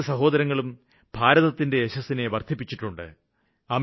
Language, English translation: Malayalam, These two brothers have brought pride to the Nation